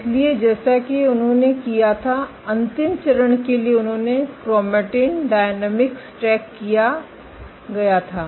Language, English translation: Hindi, So, as the last step for they did was they tracked chromatin dynamics